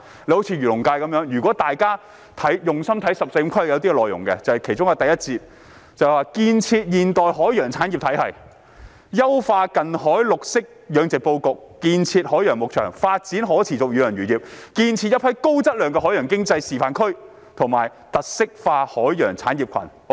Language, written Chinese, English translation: Cantonese, 以漁農界為例，如果大家用心看"十四五"規劃的內容，其中一個第一節題為"建設現代海洋產業體系"，提出"優化近海綠色養殖布局，建設海洋牧場，發展可持續遠洋漁業。建設一批高質量海洋經濟發展示範區和特色化海洋產業群。, Let us take the agriculture and fisheries sector as an example and carefully look at the details of the 14th Five - Year Plan . One of the Sections 1 is entitled Build a modern maritime industry system which proposes to optimize the layout of offshore green aquaculture build marine pastures and develop sustainable pelagic fisheries and build a number of high quality maritime economic development demonstration zones and specialized maritime industry clusters